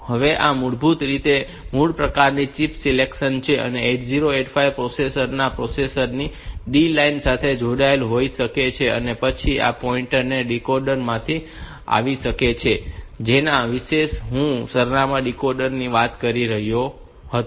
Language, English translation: Gujarati, This is basically some sort of chip select, this may be connected to the line D0 of the processor of the 8085 processor and then this point may be coming from that decoder that I was talking about that address decoder